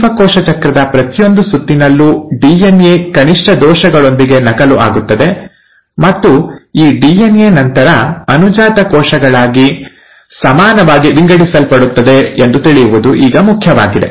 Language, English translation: Kannada, Now this is important to know that every round of cell cycle, the DNA gets duplicated with minimal errors, and this DNA then gets equally divided into the daughter cells